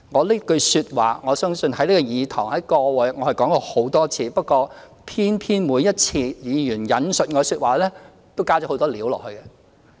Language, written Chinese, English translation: Cantonese, 這句說話我已在這個議事堂上說了很多次，但偏偏每一次議員引述我的說話時，都"加了很多料"。, I had made this remark many times in this Chamber but whenever a Member quoted it he or she added a lot of ingredients to it